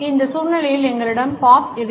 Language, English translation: Tamil, In this scenario we have Bob